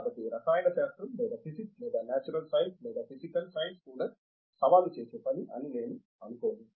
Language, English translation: Telugu, So, I don’t think the chemistry or even physics or even natural sciences or physical science is a challenging job